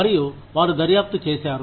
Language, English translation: Telugu, And, they investigated